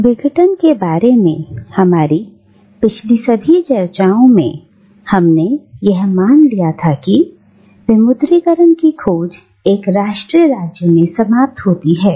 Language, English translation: Hindi, Now, in all our previous discussions about decolonisation, we had assumed that the quest for decolonisation ends in a nation state